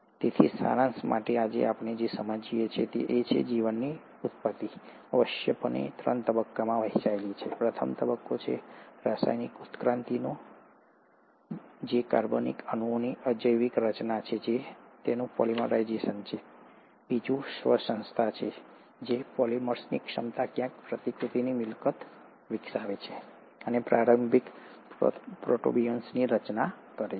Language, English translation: Gujarati, So, to summarize, what we understand today, is that the origin of life essentially is divided into three stages; the first stage is the stage of chemical evolution, which is abiotic formation of organic molecules and it's polymerization; the second is the self organization, and the ability of these polymers to somewhere develop the property of replication and formed the early protobionts